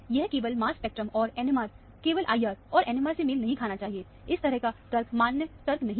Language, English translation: Hindi, It should not match only mass spec, and not NMR; only IR, and not the NMR; that kind of a argument is not a valid argument